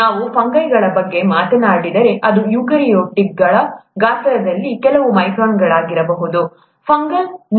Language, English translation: Kannada, If we talk of fungi which are eukaryotes that could be a few microns in size, fungal cell